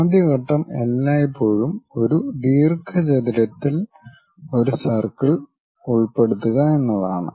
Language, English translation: Malayalam, The first step is always enclose a circle in a rectangle